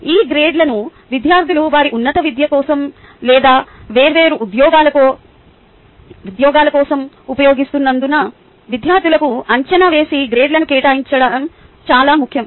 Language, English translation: Telugu, its also important that we assess to assign grades to the students, as these grades are used by students for their higher education or for a different jobs